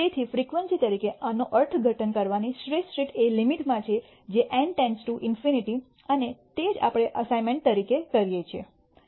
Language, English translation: Gujarati, So, the best way of interpreting this as a frequency is in the limit as N tends to infinity and that is what we do as an assignment